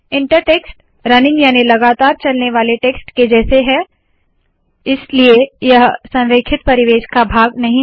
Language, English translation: Hindi, Inter text is like running text, so this is not part of the align environment